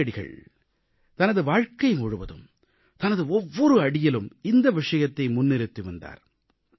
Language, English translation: Tamil, Mahatma Gandhi had advocated this wisdom at every step of his life